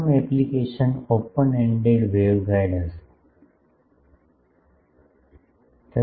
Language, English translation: Gujarati, The first application will be open ended waveguide